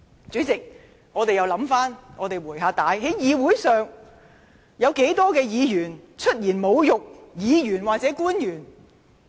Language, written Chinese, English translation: Cantonese, 主席，讓我們回想一下，在議會內曾有多少議員出言侮辱其他議員或政府官員呢？, President let us recall our memory . How many Members in the legislature have hurled verbal insults at other Members or government officials?